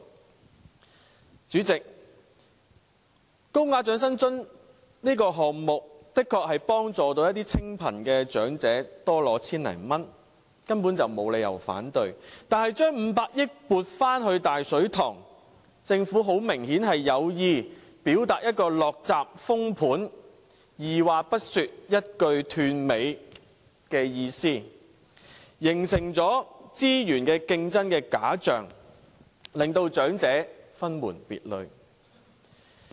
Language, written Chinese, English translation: Cantonese, 代理主席，高額長者生活津貼的項目的確能夠幫助一些清貧長者多領千多元，根本沒理由反對，但將500億元撥回"大水塘"，很明顯政府是有意表達"落閘封盤"、二話不說、一句斷尾的意思，形成資源競爭的假象，將長者分門別類。, Deputy President the higher - tier assistance is of course effective in additionally granting those impoverished elderly persons 1,000 or so and there is no point to reject it yet the recovering of the earmarked funding of 50 billion overtly indicates the Governments message to once and for all quash any expectation for implementing retirement protection . Such a move simply works to create a false picture showing competition for resources differentiating elderly persons of different social classes